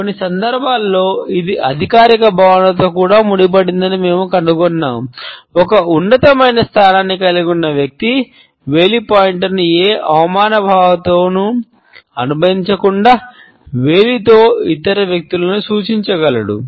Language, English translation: Telugu, In some cases we find that it is also associated with a sense of authority, when a person holding a superior position can indicate other people with a finger, without associating the finger pointer with any sense of insult